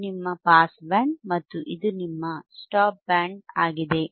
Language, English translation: Kannada, tThis is your Pass Band and this is your Stop Band this is your Stop Band correct